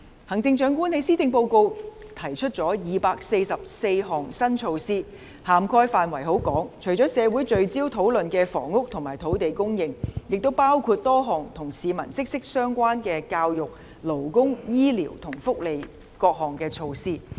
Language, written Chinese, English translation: Cantonese, 行政長官在施政報告提出了244項新措施，涵蓋範圍甚廣，除社會聚焦討論的房屋和土地供應外，亦包括多項與市民息息相關的教育、勞工、醫療和福利措施。, The Chief Executive has proposed 244 new measures in the Policy Address covering a very wide range of subjects . Apart from the land and housing supply which is the focus of community discussion measures in education labour health care services and welfare which are closely related to the public are also included